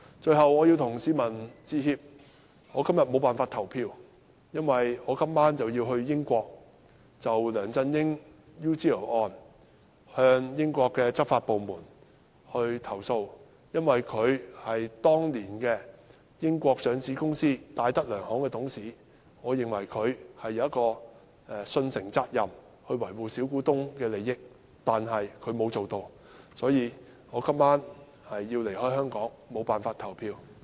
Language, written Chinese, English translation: Cantonese, 最後，我要向市民致歉，我今天無法投票，因為我今晚要前往英國，就梁振英 UGL 案向英國執法部門投訴，因為他當年是英國上市公司戴德梁行的董事，我認為他有受信責任維護小股東的利益，但他沒有這樣做，所以我今晚要離開香港，無法投票。, Today I cannot cast my vote because I am going to the United Kingdom tonight to complain to the British law enforcement agency LEUNG Chun - yings UGL case since he was a director of the British listed company DTZ at that time . In my view he had the fiduciary duty to protect the minority shareholders interests but he did not do so . For this reason I am leaving Hong Kong tonight and cannot vote